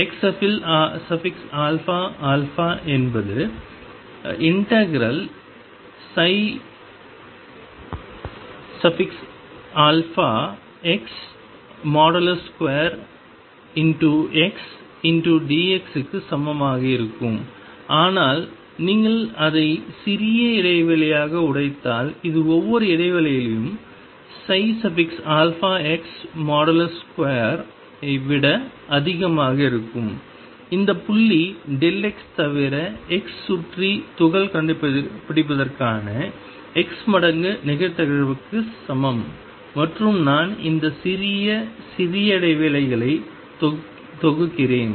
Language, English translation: Tamil, X alpha alpha is going to be equal to integration mod psi alpha x square times x d x which is nothing but if you break it into small intervals it is over each interval psi alpha x mod square except that point delta x which is equal to x times probability of finding particle around x and I am summing over all that small small intervals it